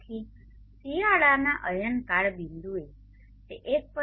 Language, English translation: Gujarati, So at the winter sols sties point it is 1